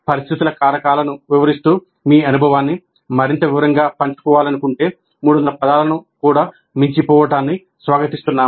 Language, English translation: Telugu, If you wish to share your experience in greater detail, explaining the situational factors, you are welcome to exceed 300 words also